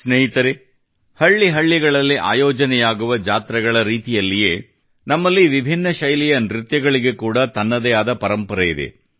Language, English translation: Kannada, Friends, just like the fairs held in every village, various dances here also possess their own heritage